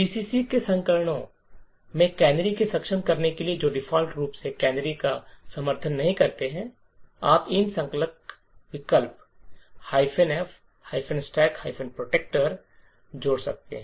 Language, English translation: Hindi, In order to enable canaries in versions of GCC which do not support canaries by default you could add these compilation option minus f –stack protector